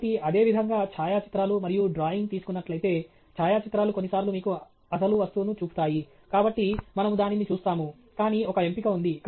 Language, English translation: Telugu, So, similarly for photographs and drawing; photographs sometimes show you the actual object, so we will see that, but there is a choice